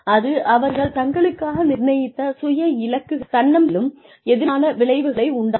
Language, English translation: Tamil, It has negative effects, on self set goals and, on feelings of self confidence